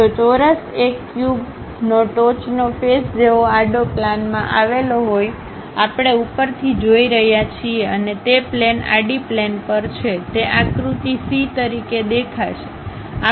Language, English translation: Gujarati, If the square lies in the horizontal plane, like the top face of a cube; we are looking from the top and that plane is on the horizontal plane, it will appear as figure c